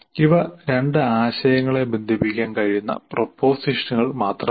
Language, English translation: Malayalam, These are just propositions that can link two concepts